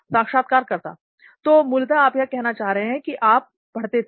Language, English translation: Hindi, So basically you are saying that you used to read